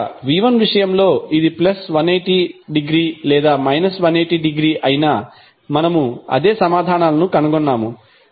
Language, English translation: Telugu, So, whether it was plus 180 degree or minus 180 degree in case of v1, we found the same answers